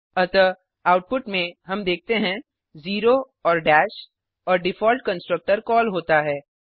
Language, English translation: Hindi, So in the output we see zero and dash when the default constructor is called